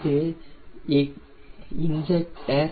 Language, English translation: Tamil, this is your injector